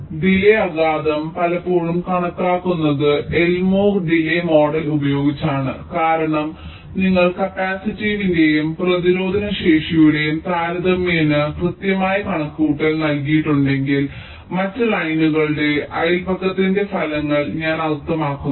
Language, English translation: Malayalam, now the delay impact is often estimated using the elmore delay model because it gives a quite accurate estimate, provided you have made a relatively accurate estimate of the capacity, when the resistive i mean effects of the neiburehood, the other lines